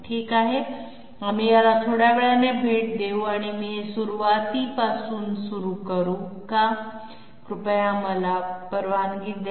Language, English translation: Marathi, Okay, we will visit this slightly later or shall I start this from the beginning, please bear with me, yeah